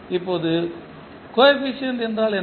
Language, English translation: Tamil, Now, what are the coefficient